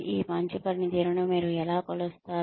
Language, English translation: Telugu, How will you measure this better performance